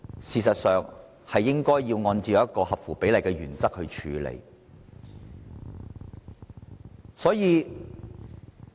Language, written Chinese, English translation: Cantonese, 事實上，這方面應按照合乎比例的原則處理。, As a matter of fact this should be dealt with in accordance with the principle of proportionality